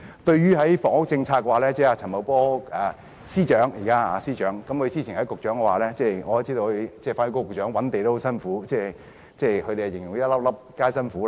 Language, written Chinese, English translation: Cantonese, 對於房屋政策，主席，我知道現任司長陳茂波——前職是局長——和現任發展局局長覓地也很辛苦，他們形容為"粒粒皆辛苦"。, In terms of housing policy President I know that the incumbent Financial Secretary Paul CHAN who was a former Secretary for Development has been working very hard with the incumbent Secretary for Development in identifying land sites and they say that every single site is the fruit of hard work